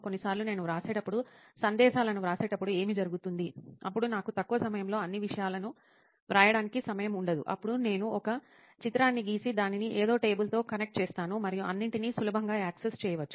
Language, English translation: Telugu, Sometimes when I write, what happens when I write messages, then I do not have time to write all the things in short time, then I draw a picture and connect it with something table and all so that it can be easily accessible